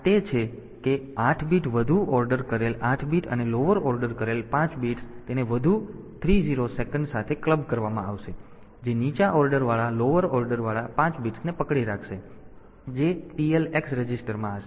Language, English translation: Gujarati, So, this is that 8 bit higher ordered 8 bit and lower ordered 5 bits it will be clubbed with 3 more 0s, that will be holding the lower ordered of a lowered ordered lower ordered 5 bits will be there in the TL x register, on the other hand mode 1 is a 16 bit timer mode